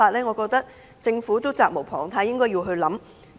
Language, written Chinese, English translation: Cantonese, 我認為政府責無旁貸，應要思量一下。, I think this is the responsibility of the Government and it should think about this